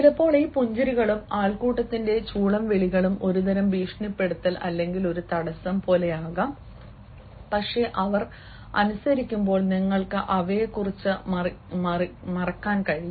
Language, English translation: Malayalam, sometimes, these smiles and the whispers of the crowd, they may appear like a sort of intimidation or like a sort of impediment, but you can just while them, obey, you can just forget about them